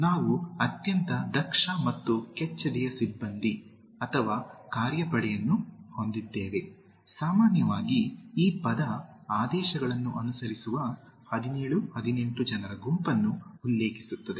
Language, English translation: Kannada, We are very efficient and brave personal is staff or workforce, generally the word refers to group of people willing to obey orders 17 18, the correct choices are in 17